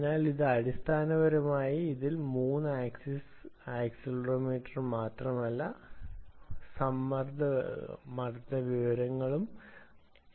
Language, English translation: Malayalam, so this not only contains the three axis accelerometer inside, it also contains the pressure information